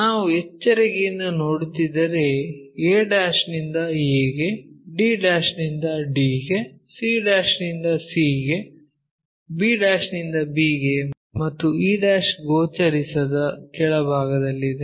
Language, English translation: Kannada, If we are looking carefully a' a d' to d c' to c b' to b and the e' which is at bottom of that which is not visible